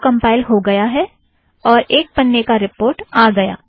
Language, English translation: Hindi, It compiles, 1 page report comes